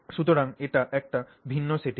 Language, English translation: Bengali, So, that is a different setting